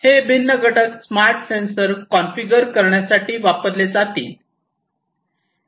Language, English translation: Marathi, These are the different components, which will be used to configure the smart sensors